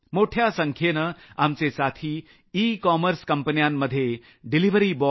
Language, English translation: Marathi, Many of our friends are engaged with ecommerce companies as delivery personnel